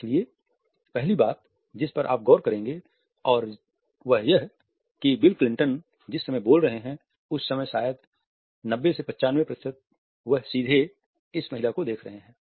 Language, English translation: Hindi, So, the first thing you will notice and throughout this is that probably 90 to 95 percent of the time that bill Clinton is speaking, he is looking directly at this woman